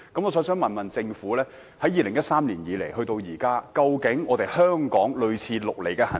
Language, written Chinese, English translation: Cantonese, 我想問政府，自2013年至今，香港是否有採取類似"綠籬"的行動？, May I ask the Government whether Hong Kong has taken any action similar to the Operation Green Fence since 2013?